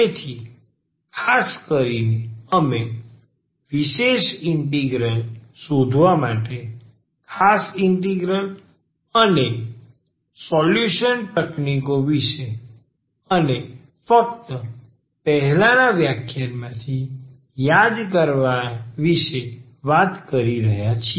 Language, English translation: Gujarati, So, in particular we were talking about the particular integrals and the solution techniques for finding the particular integrals and just to recall from the previous lecture